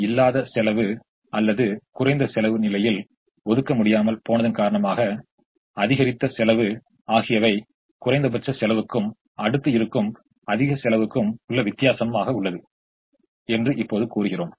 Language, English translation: Tamil, so we now say that the cost of not, or the increased cost of not being able to allocate in the least cost position is the difference between the least cost and the next higher cost